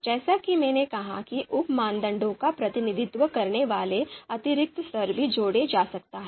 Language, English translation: Hindi, So as I said additional levels representing the sub criteria can also be added